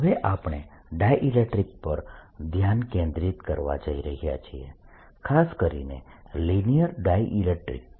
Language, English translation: Gujarati, we have now going to concentrate on something called the dielectrics and in particular linear dielectrics